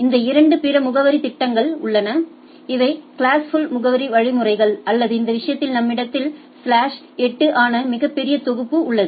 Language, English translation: Tamil, These two other addressing schemes are there these are classful addressing mechanisms or in this case we have a very large block of slash 8